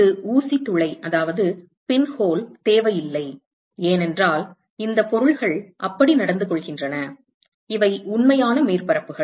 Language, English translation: Tamil, There is no need for a pinhole, because these objects they behave like that, these are real surfaces